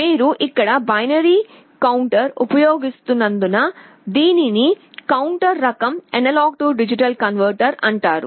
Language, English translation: Telugu, This is called counter type AD converter because you are using a binary counter here